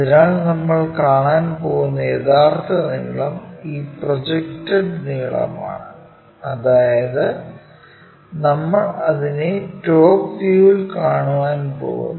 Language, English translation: Malayalam, So, the actual length what we are going to see is this projected length, that is we are going to see it in a top view